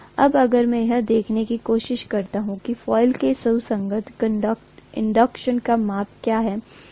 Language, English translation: Hindi, Now if I try to look at what is the corresponding inductance measure of the coil